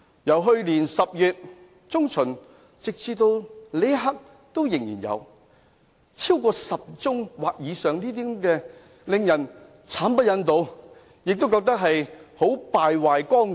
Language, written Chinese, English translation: Cantonese, 由去年10月中旬至此刻，發生10宗或以上的個案，當中議員的行為令人慘不忍睹，完全敗壞綱紀。, From mid - October last year up till this moment there have been over 10 cases in which Members acted in despicable ways which completely violated law and order